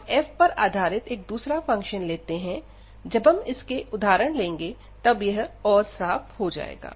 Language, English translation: Hindi, So, we take another function based on the given function f this will be rather clear, when we discuss the examples